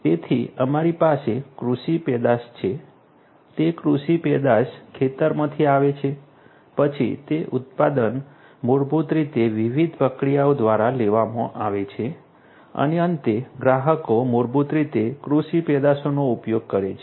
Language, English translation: Gujarati, So, we have agricultural produce, those agricultural produce get they come from the field then those produces are basically taken through different processes and finally, you know the consumers basically consume the agricultural produce